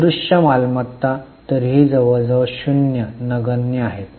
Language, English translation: Marathi, Intangible assets are anyway almost nil, negligible